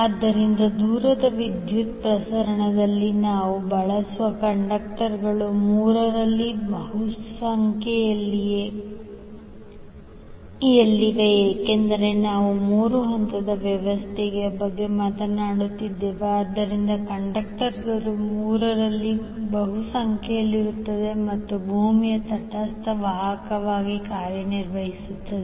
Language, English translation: Kannada, So in a long distance power transmission the conductors we use are in multiple of three because we are talking about the three phase system, so the conductors will be in multiple of three and R3 will act as neutral conductor